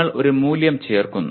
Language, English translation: Malayalam, You attach a value